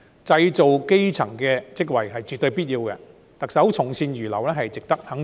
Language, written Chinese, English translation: Cantonese, 製造基層職位絕對有必要，特首從善如流值得肯定。, It is absolutely necessary to create jobs for the grass roots